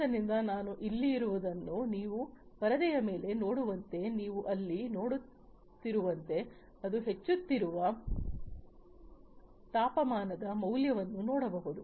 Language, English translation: Kannada, So, what I have over here as you can see on the screen as you can see over here the temperature value it is increasing, right